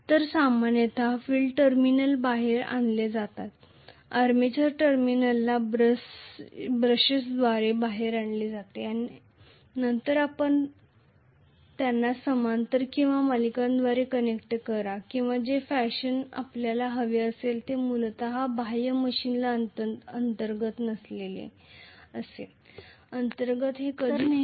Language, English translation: Marathi, Not inside the machine so generally the field terminals are brought out, the armature terminals are brought out through the brushes, then you connect them in parallel or in series or in whatever fashion you want basically external to the machine not internal internally they are never connected